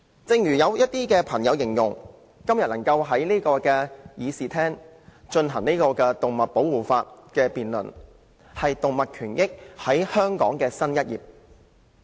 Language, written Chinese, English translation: Cantonese, 正如一些朋友形容，今天能在議事廳就保護動物的法例進行辯論，為香港的動物權益揭開新一頁。, As some friends have said the fact that we can debate animal protection legislation in the Chamber today has opened a new chapter on animal rights in Hong Kong